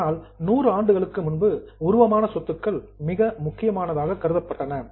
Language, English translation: Tamil, Say 100 years before, tangible assets were very important